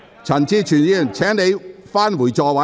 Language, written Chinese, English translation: Cantonese, 陳志全議員，請你返回座位。, Mr CHAN Chi - chuen please return to your seat